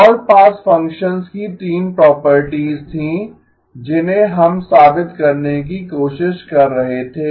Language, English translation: Hindi, There were 3 properties of all pass functions which we were trying to prove